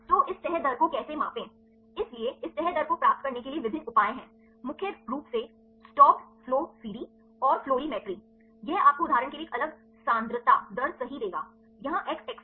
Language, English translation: Hindi, So, how to measure this folding rate; so, there are various measures to get this folding rate mainly the stopped flow CD and the fluorimetry; this will give you the rate right a different concentration for example, here the x axis